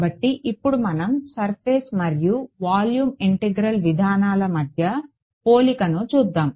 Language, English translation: Telugu, So, now let us go to sort of a comparison between the Surface and Volume Integral approaches right